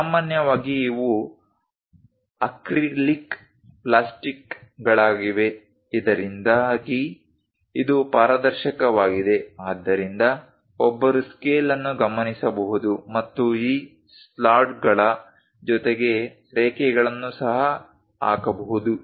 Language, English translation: Kannada, Usually, these are acrylic plastics, so that transparent and one can note the scale and put the lines along these slots also